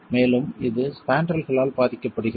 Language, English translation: Tamil, And this is affected by spandrels